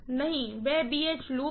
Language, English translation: Hindi, No, no, no, that is in BH loop